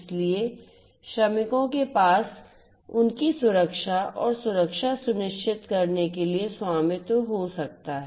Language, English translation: Hindi, So, these could be owned by the workers to ensure their safety and security